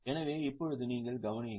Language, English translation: Tamil, So now you can have a a look